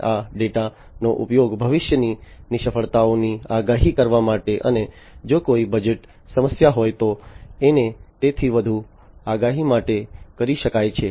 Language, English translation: Gujarati, And this data can be used for further prediction to predict future failures, and if there is any budget issue and so on